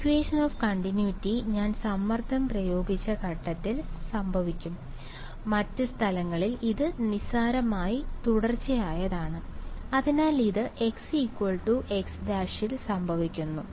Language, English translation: Malayalam, So, the equation of continuity will happen at the point at which I have applied the stress right other places anyway it is trivially continuous, so this happens at x is equal to x prime